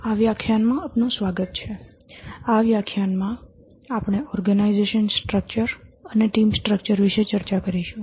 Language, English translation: Gujarati, Welcome to this lecture about the organization structure and the team structure